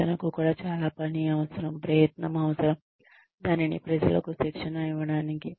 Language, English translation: Telugu, Training is also a very, it requires work, it requires effort, to train people